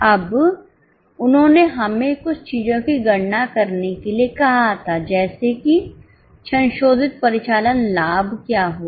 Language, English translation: Hindi, Now, they had asked us to compute a few things as to what will be the revised operating profit